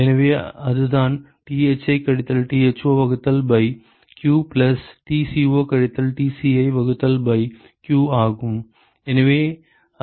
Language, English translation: Tamil, So, that is the Thi minus Tho divided by q plus Tco minus Tci divided by q